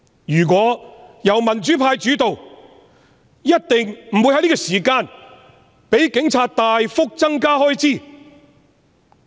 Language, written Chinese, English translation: Cantonese, 如果香港由民主派主導，一定不會在此時讓警隊大幅增加開支。, If Hong Kong was led by the pro - democracy camp the Police would definitely not be allowed to substantially increase their expenditure at this juncture